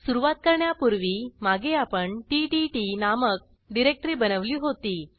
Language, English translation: Marathi, Before we begin, recall that we had created ttt directory earlier